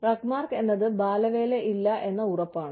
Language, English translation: Malayalam, And, RUGMARK is assurance of, no child labor